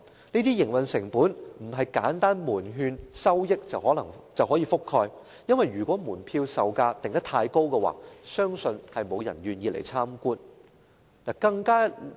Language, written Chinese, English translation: Cantonese, 這些營運成本並非門券收益可以覆蓋，因為如果門票售價定得太高，相信沒有人願意參觀。, These operating costs cannot be covered by revenue generated from patronage because if the admission fees are too high I believe nobody will be willing to pay a visit